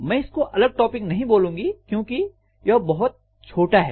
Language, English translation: Hindi, I would not like to call this as a separate topic because this will be pretty small